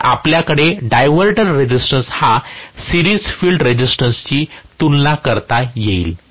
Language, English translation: Marathi, So, we are going to have the diverter resistance comparable to that of the series field resistance itself